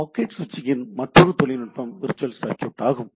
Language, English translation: Tamil, So, other technique for packet switching is the virtual circuit